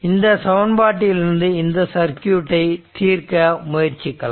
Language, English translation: Tamil, And that means, from this equation we have to try to solve this circuit